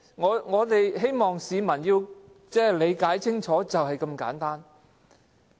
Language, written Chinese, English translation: Cantonese, 我們希望市民也理解清楚，事情便是那麼簡單。, We hope the public can clearly understand that it is as simple as that